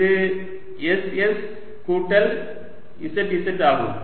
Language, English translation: Tamil, so this is going to be s d s or d s